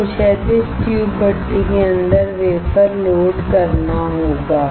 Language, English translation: Hindi, You have to load the wafer inside the horizontal tube furnace